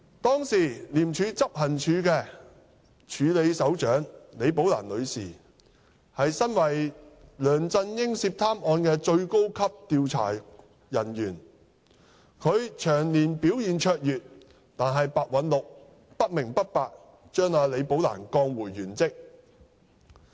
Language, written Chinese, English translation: Cantonese, 當時的廉署署理執行處首長李寶蘭女士為梁振英涉貪案的最高級調查人員，長年表現卓越，但白韞六不明不白地把李寶蘭女士降回原職。, The then acting Head of Operations of ICAC Ms Rebecca LI who was the most senior investigator in the case of alleged corruption of LEUNG Chun - ying had shown outstanding performance over the years but Simon PEH for no reason at all demoted Ms Rebecca LI who was then reverted to her original post